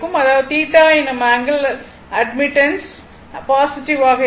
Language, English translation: Tamil, That means, in that case angle of admittance is your positive right